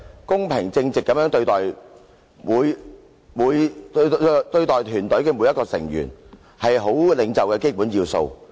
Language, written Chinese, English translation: Cantonese, 公平正直地對待團隊的每一個成員，是好領袖的基本要素。, Treating every member of the team fairly and impartially is the basic element of a good leader